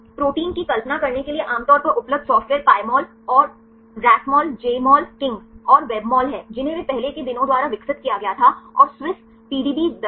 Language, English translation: Hindi, The commonly available software for visualizing protein is the Pymol and Rasmol Jmol KING and Webmol they are developed earlier days and Swiss PDB viewer